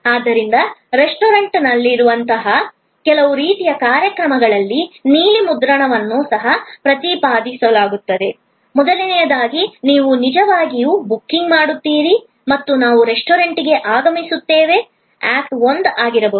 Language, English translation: Kannada, So, blue print can also be represented in some kind of a series of acts like in a restaurant, the first where actually you make the booking and we arrive at the restaurant can be act 1